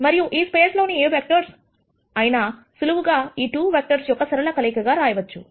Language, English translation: Telugu, However, these vectors have been picked in such a way, that they are only linear combination of these 2 vectors